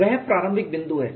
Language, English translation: Hindi, That is a starting point